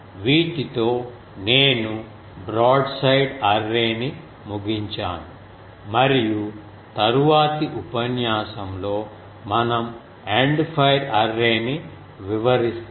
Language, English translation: Telugu, With these I conclude the broadside array and in the next class we will find end fire array